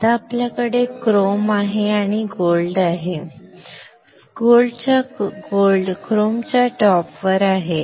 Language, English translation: Marathi, Now we have chrome and gold; gold is on the top of chrome